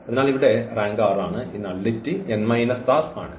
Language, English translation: Malayalam, So, here the rank is r and this nullity is n minus r